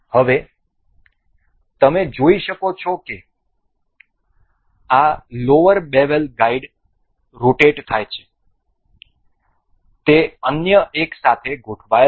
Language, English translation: Gujarati, Now, you can see as it this lower bevel guide is rotating, it is aligned with other one